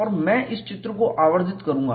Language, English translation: Hindi, And I will magnify this picture